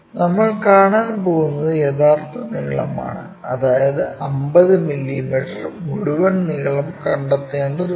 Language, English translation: Malayalam, And the length, what we are going to see is the true length we are going to see, so that entire longer one 50 mm we have to locate it